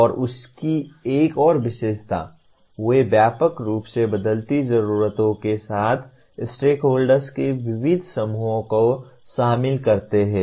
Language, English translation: Hindi, And another feature of that, they involve diverse groups of stakeholders with widely varying needs